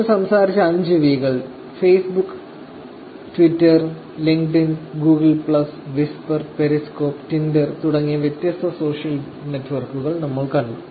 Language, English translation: Malayalam, So, those are 5 V's that we talked about and in different social networks like Facebook, Twitter, Linkedin, Google plus, Whisper, Periscope, Tinder, these are the different social networks also we saw about